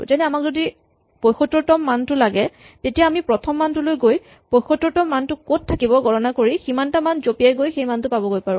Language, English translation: Assamese, So, if I want the 75th value, I can go to the first value and calculate where the 75th value will be if I just jump over that many values and get there directly